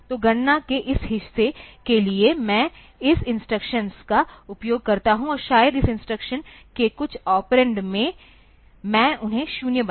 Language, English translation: Hindi, So, for this part of the calculation, I use this instruction, and maybe some of the operands of this instruction I make them zero